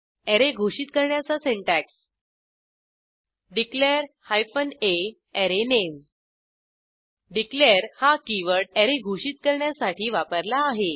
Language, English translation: Marathi, The syntax to declare an Array is declare hyphen `a` arrayname declare keyword is used to declare an Array